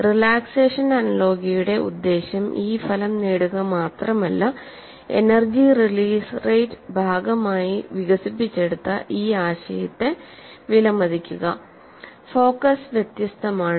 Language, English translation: Malayalam, So, the focus of relaxation analogy is not just to get this result, but appreciate the concept that is developed as part of energy release rate